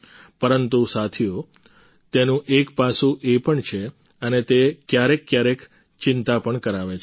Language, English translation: Gujarati, But friends, there is another aspect to it and it also sometimes causes concern